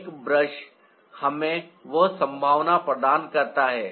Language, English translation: Hindi, a brush provides us with that possibility